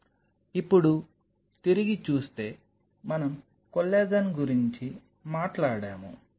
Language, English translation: Telugu, Now, coming back so, we talked about the collagen